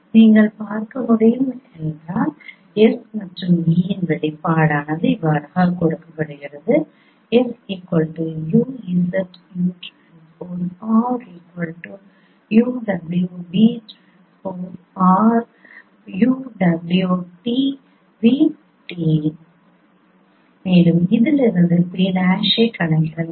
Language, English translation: Tamil, Then the expression of S and R is given as you can see and from there you can compute P prime